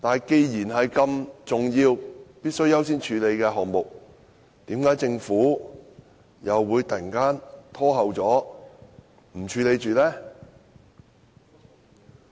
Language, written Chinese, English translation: Cantonese, 既然這是必須優先處理的重要項目，為何政府又會突然延後處理呢？, Since this is an important issue to be addressed as a priority why did the Government suddenly postpone the handling of this issue?